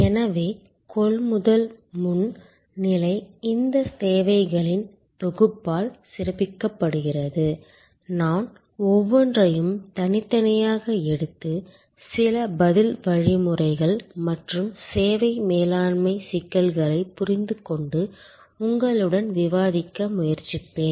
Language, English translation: Tamil, So, the pre purchase stage is highlighted by these set of needs, I will take each one individually and try to understand and discuss with you some of the response mechanisms and service management issues